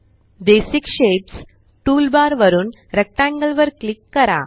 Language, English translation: Marathi, From the Basic Shapes toolbar click on Rectangle